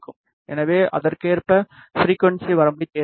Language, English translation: Tamil, So, we will select the frequency range accordingly